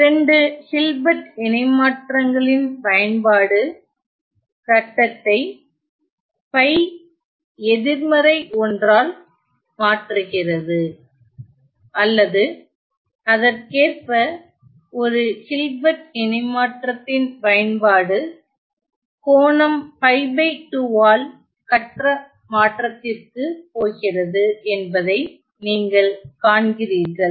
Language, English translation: Tamil, You see that the application of two Hilbert transforms shifts the phase by pi negative one or correspondingly the application of one Hilbert transform is going to phase shift by an angle pi by 2 ok